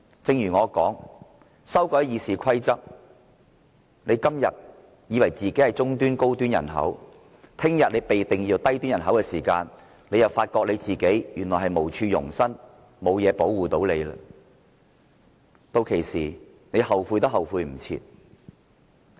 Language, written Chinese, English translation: Cantonese, 正如我所說，《議事規則》經修改後，他們今天以為自己是中端、高端人口，明天當他們被定義為低端人口的時候，便會發覺自己原來無處容身，沒有東西可作保護，屆時他們後悔也莫及。, As I said they think they belong to the middle - and high - end population today but only to find out the next day after introducing the amendments to RoP that they are classified as the low - end population . By then they will regret what they have done because they realize that they have no dwellings nor nothing to protect themselves